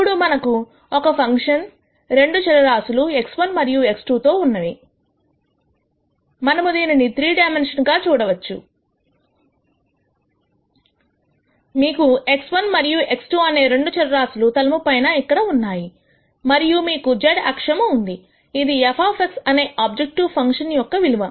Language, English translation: Telugu, Now, since we have a function with two variables x 1 and x 2 we visualize this in 3 dimensions, you have the two dimensions x 1 and x 2 on the plane below here and you have the z axis which is f of X which is the objective function value